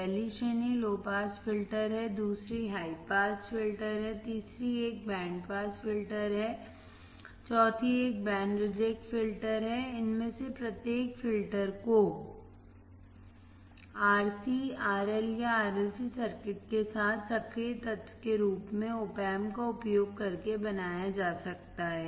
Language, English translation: Hindi, The first category is low pass filter, second one is high pass filter, third one is band pass filter, fourth one is band reject filter; Each of these filters can be build by using opamp as the active element combined with RC, RL, or RLC circuit